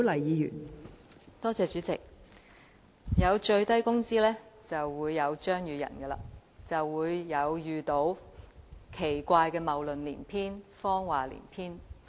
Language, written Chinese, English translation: Cantonese, 代理主席，有最低工資就會有張宇人議員，就會聽到奇怪的謬論及謊話連篇。, Deputy President where there is discussion of minimum wage there is Mr Tommy CHEUNG and we will hear some strange fallacies and a web of lies